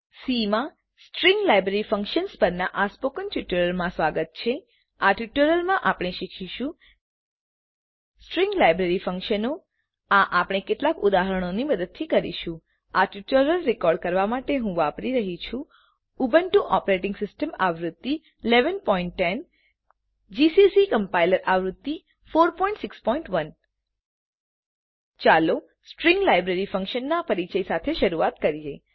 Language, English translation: Gujarati, Welcome to the spoken tutorial on String Library Functions in C In this tutorial we will learn, String Library Functions We will do this with the help of some examples To record this tutorial, I am using Ubuntu Operating System version 11.10, gcc Compiler Version 4.6.1 Let us start with an introduction to string library functions